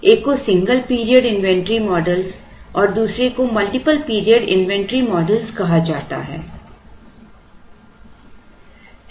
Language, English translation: Hindi, One is called single period inventory models and multiple period inventory models